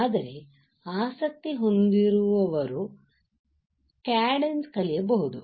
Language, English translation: Kannada, But those who are interested can learn Cadence